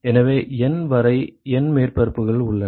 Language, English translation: Tamil, So, we have N surfaces etcetera up to N ok